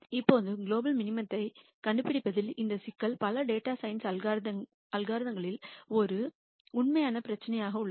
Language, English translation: Tamil, Now, this problem of finding the global minimum has been a real issue in several data science algorithms